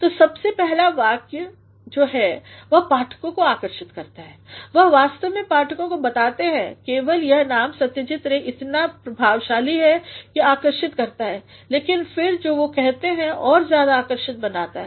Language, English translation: Hindi, ” So, in the very first sentence, he attracts the readers he actually tells the readers, only the name Satyajit Ray is so powerful that it attracts but then what he says becomes more attractive